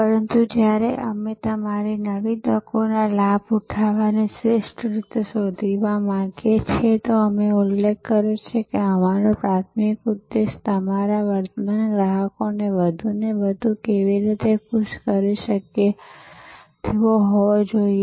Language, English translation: Gujarati, But, while we want to find the best ways to capitalize your new opportunities, as I mentioned our primary aim should be how to delight our current customers more and more